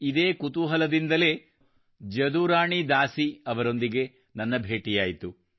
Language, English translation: Kannada, With this curiosity I met Jaduarani Dasi ji